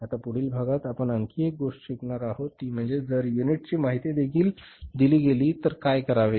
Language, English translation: Marathi, Now in the next part we will be learning about one more thing that is if the unit's information is also given